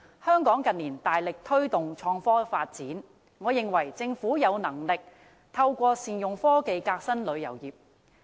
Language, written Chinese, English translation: Cantonese, 香港近年大力推動創科發展，我認為政府有能力透過善用科技革新旅遊業。, As Hong Kong has been vigorously promoting the development of innovation and technology in recent years I think the Government is capable of reforming the tourism industry by utilizing technology